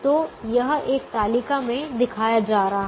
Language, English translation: Hindi, so that's going to be shown in the same table here